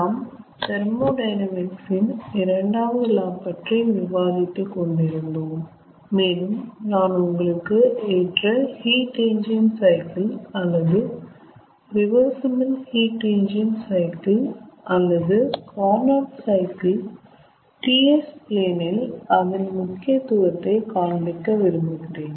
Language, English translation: Tamil, we were discussing second law of thermodynamics and then i wanted to show you the ah ideal heat engine cycle or reversible heat engine cycle or a carnot cycle on a ts plane, its significance